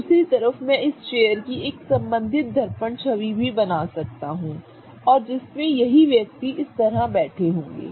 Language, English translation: Hindi, On the other hand I can also draw a corresponding mirror image of this chair and which will also have the same person sitting like this